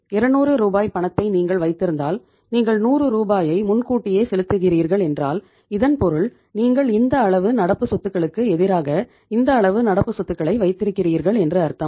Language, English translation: Tamil, If you are say uh keeping the cash of 200 Rs and if you are making the advance payments of 100 Rs it means you are keeping this much level of current assets against this much level of current assets